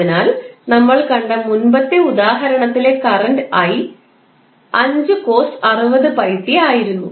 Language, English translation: Malayalam, So, current i which we saw in the previous example was 5 cos 60 pi t